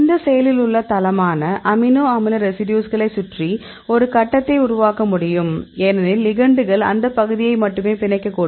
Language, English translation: Tamil, So, now, we can generate a grid around this active site amino acid residues because the ligands probably they potentially they bind only that region